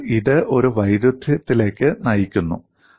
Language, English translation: Malayalam, So, this leads to a contradiction